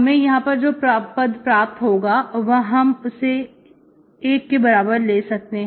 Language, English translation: Hindi, So that will come here, that we can take it as 1